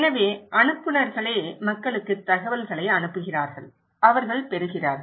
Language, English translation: Tamil, So, senders, they are sending informations to the people, they are the receivers